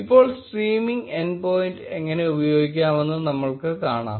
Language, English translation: Malayalam, Now, we will see how to use the streaming endpoint